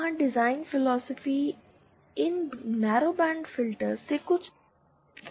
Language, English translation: Hindi, There the design philosophy is somewhat different from these narrowband filters